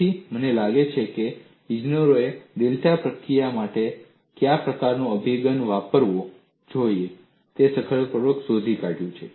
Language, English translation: Gujarati, So, you find engineers have successfully found out what kind of an approach they should use for data processing